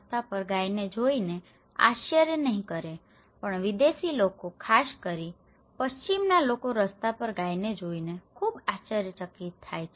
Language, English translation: Gujarati, Or maybe cow on the road, Indians wonít be surprised seeing cow on the road but a foreign people particularly, Western people very surprised seeing cow on the road